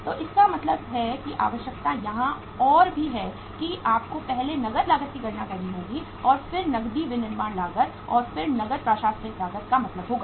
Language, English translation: Hindi, So it means the requirement is furthermore here that you will have to first calculate the cash cost and then means cash manufacturing cost and then the cash administrative cost